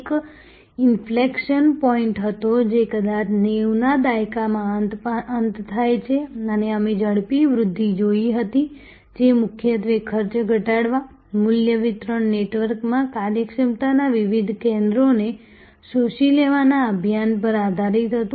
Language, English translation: Gujarati, There was an inflection point, which perhaps occur towards the end of 90’s and we had seen rapid growth, which was mainly based on the drive to reduce cost, absorb different centres of efficiency into a value delivery network